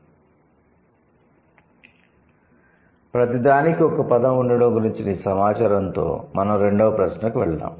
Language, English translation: Telugu, So, with these information about the having a word for everything, let's go to the second question